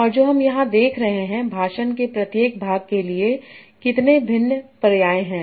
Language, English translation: Hindi, And what we are seeing here how many different synsets are there for each part of speech